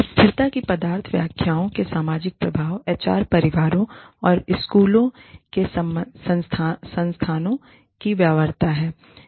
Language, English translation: Hindi, The social effects of the, substance interpretations of sustainability are, viability of resources of HR, families and schools